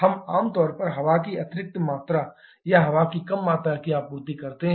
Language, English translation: Hindi, We generally supply additional amount of air or less amount of air